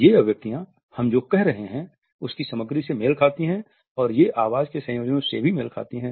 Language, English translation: Hindi, These expressions match the content of what we are saying and they also match the voice modulations